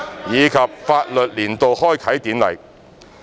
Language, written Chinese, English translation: Cantonese, 以及法律年度開啟典禮。, and the Ceremonial Opening of the Legal Year